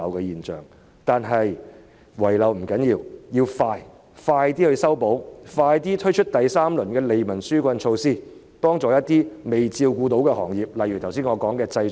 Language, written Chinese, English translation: Cantonese, 即使遺漏亦不要緊，只要盡快修補、推出第三輪利民紓困措施，幫助一些尚未照顧到的行業便可，例如我剛才提及的製造業。, Even though there are loopholes it is not a matter of concern as long as they are plugged expeditiously by way of introducing the third round of relief measures to help those industries which have not been taken care of such as the manufacturing industry I just mentioned